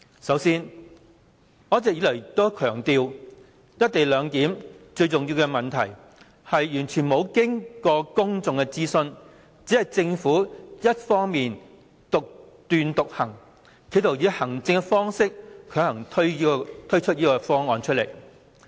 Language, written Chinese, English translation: Cantonese, 首先，我一直以來也強調"一地兩檢"中最重要的問題，就是完全沒有經過公眾諮詢，只是政府單方面獨斷獨行，企圖以行政方式強行推出方案。, First of all I have all along been pointing out the most important issue in the co - location arrangement that is the Government has never launched any pubic consultation . The Government simply acts arbitrarily and tries to forcibly launch the arrangement